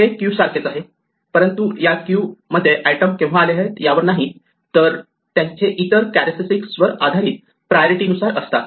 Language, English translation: Marathi, This is like a queue, but a queue in which items have priority based on some other characteristic not on when they arrived